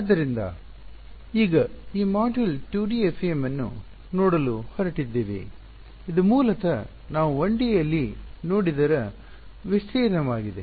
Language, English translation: Kannada, So, now so, this module is going to look at 2D FEM which is basically an extension of whatever we have looked at in 1D